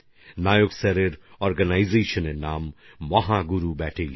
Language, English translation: Bengali, The name of the organization of Nayak Sir is Mahaguru Battalion